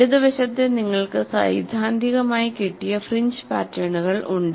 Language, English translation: Malayalam, On our left side, you have the fringe patterns theoretically simulated